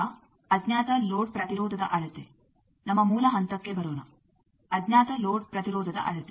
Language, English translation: Kannada, Now, measurement of unknown load impedance let us come to our basic point measurement of unknown load impedance